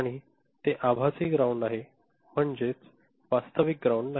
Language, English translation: Marathi, And, since is it is virtual ground, is not actual ground